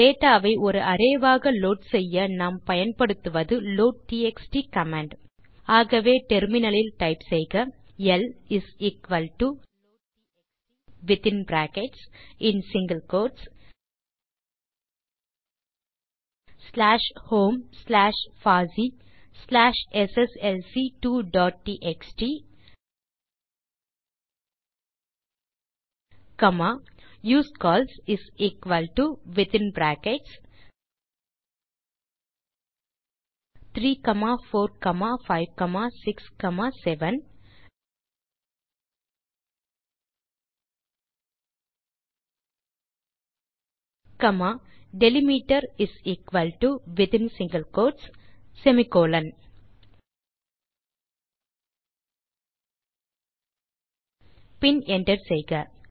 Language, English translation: Tamil, To get the data as an array, we use the loadtxt command So type on the terminal L is equal to loadtxt within brackets , single quotes slash home slash fossee slash sslc2 dot txt comma usecols is equal to within brackets 3,4,5,6,7 comma delimiter is equal to within single quotes semicolon) and hit Enter